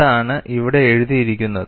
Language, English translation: Malayalam, And that is what is written here